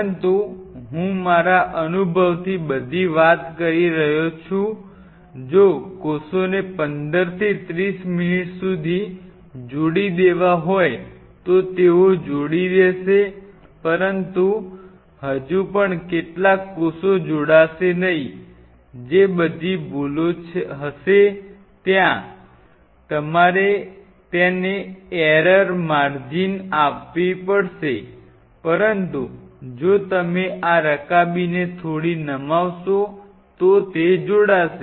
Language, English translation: Gujarati, But if and this is I am talking all from my experience if the cells had to attach by 15 to 30 minutes they will attach and still some of the cells will not attach, that you have to give it as an error margin will all those be there, but if they have to attach and if you tilt this dish little bit